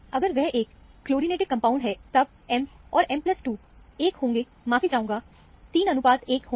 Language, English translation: Hindi, If it is a chlorinated compound, M and M plus 2 will be, 1 is to, sorry, 3 is to 1 ratio